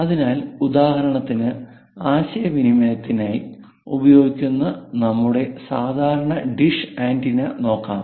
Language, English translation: Malayalam, So, for example, here let us look at our typical dish antenna for this communication